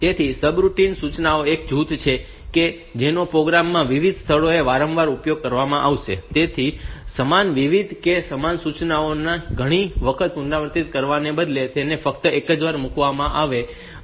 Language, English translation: Gujarati, So, subroutine it is a group of instructions that will be used repeated for repeatedly at different locations in the program; so rather than repeating the same statement same instructions several times